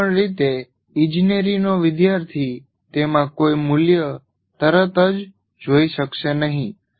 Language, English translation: Gujarati, In either way, an engineering student may not see any value in that immediately